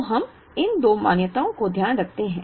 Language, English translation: Hindi, So, the moment we take care of these two assumptions that